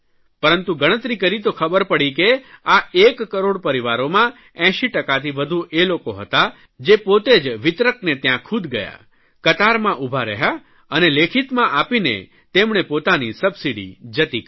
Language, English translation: Gujarati, But it has been estimated that more than 80% of these one crore families chose to go to the distributor, stand in a queue and give in writing that they wish to surrender their subsidy